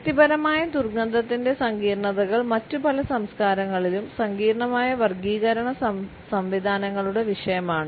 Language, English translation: Malayalam, The complexities of the personal odor are the subject of sophisticated classification systems in many other cultures